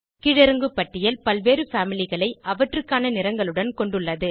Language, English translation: Tamil, Drop down list has various families with their corresponding colors